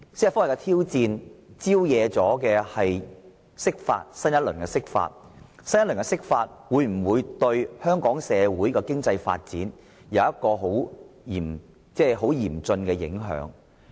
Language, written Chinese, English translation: Cantonese, 司法覆核的挑戰招惹了新一輪的釋法，而新一輪的釋法會否對香港社會的經濟發展帶來嚴峻的影響？, Since the challenge of judicial review has triggered a new round of interpretation of the Basic Law will this bring any serious consequences to the economic development of Hong Kong society?